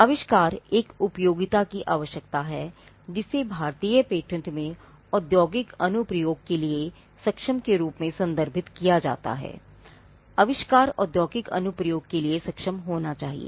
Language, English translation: Hindi, The utility or what we call the usefulness of an invention is a requirement, which is referred in the Indian patents act as capable of industrial application, that the invention should be capable of industrial application